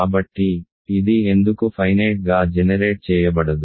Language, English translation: Telugu, So, why is this not finitely generated